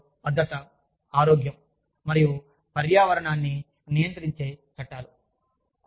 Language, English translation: Telugu, The laws governing, safety, health, and environment, in the workplace